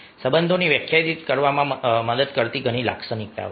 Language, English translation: Gujarati, there are several characteristic that help to define relationships